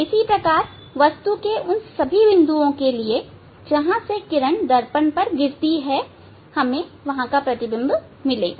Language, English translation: Hindi, similarly, from all points of the object light will fall on the mirror and we will get we will get the image